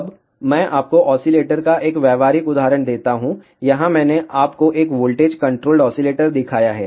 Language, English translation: Hindi, Now, let me give you a practical example of oscillator, here I have shown you a voltage controlled oscillator